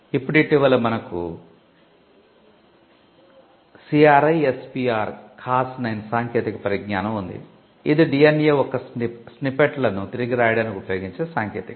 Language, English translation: Telugu, Now, recently we have the CRISPR Cas9 technology, which was it technology used for rewriting snippets of DNA and what we commonly called gene editing